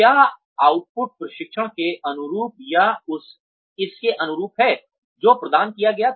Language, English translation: Hindi, Is the output commensurate with or in line with the training, that had been provided